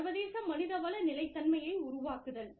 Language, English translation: Tamil, Developing international HR sustainability